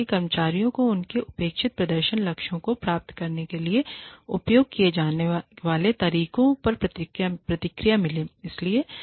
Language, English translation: Hindi, So, that employees receive feedback, on the methods, they use to achieve their, expected performance goals